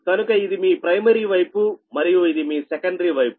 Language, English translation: Telugu, so this is primary side and this is your secondary side